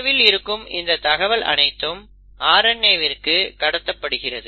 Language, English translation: Tamil, Now these instructions which are stored in DNA are then copied into RNA